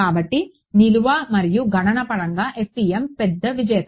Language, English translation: Telugu, So, both in terms of storage and computation FEM is a big winner